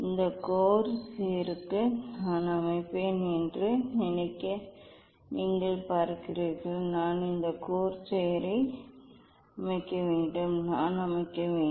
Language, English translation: Tamil, and set for a you see I will set for this corsair; I have to set this corsair; I have to set